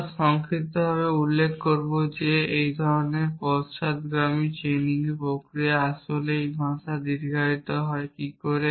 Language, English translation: Bengali, We will also briefly mention as to this kind of backward chaining process is what really this language prolonged does